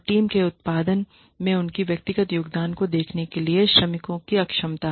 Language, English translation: Hindi, And inability of workers to see their individual contributions to the output of the team